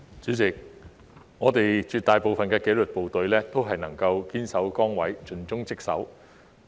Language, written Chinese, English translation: Cantonese, 主席，我們絕大部分的紀律部隊人員都能夠堅守崗位，盡忠職守。, President the vast majority of our disciplined services officers perform their duties with commitment and dedication